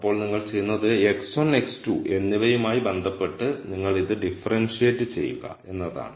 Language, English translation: Malayalam, Then what you do is, you differentiate this with respect to x 1 and x 2